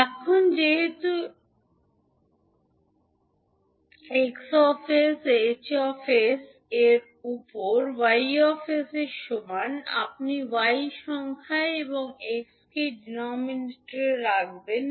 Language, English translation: Bengali, Now, since H s is equal to Y s upon X s, you will put Y s in numerator and the X s in denominator